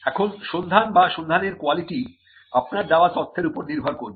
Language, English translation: Bengali, Now the search or the quality of the search will depend on the information that you have supplied